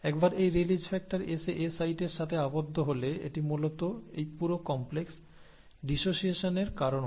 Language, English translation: Bengali, And once this release factor comes and binds to the A site, it basically causes the dissociation of this entire complex